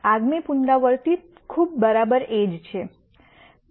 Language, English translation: Gujarati, The next iteration is pretty much exactly the same